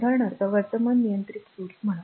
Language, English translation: Marathi, This is for example, say current controlled current source